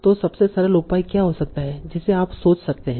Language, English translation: Hindi, So what can be the simplest measure that you can think of